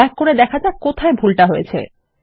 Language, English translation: Bengali, Lets go back and see what Ive done wrong